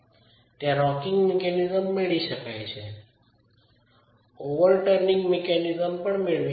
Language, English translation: Gujarati, You can get rocking mechanism, you can get overturning mechanism